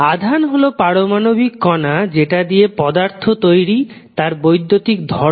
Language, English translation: Bengali, Charge is an electrical property of atomic particle of which matter consists